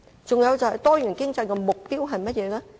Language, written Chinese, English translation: Cantonese, 再者，多元經濟的目標是甚麼？, Furthermore what are the objectives of a diversified economy?